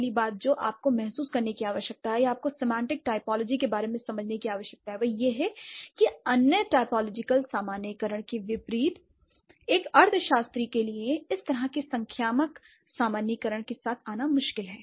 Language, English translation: Hindi, So, first thing that you need to realize or you need to understand about semantic typology is that unlike other typological generalizations it's difficult for a semantesis to come up with those kind of numerical generalizations